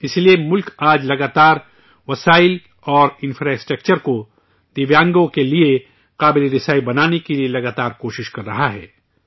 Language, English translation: Urdu, That is why, the country is constantly making efforts to make the resources and infrastructure accessible to the differentlyabled